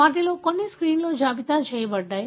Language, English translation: Telugu, Some of them are listed in the screen